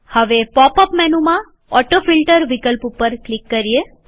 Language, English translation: Gujarati, Click on the AutoFilter option in the pop up menu